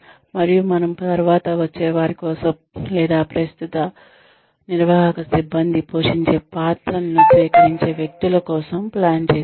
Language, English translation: Telugu, And, we planned for the successive roles, or the people, who will come and take on the roles, that are being played, by the current managerial staff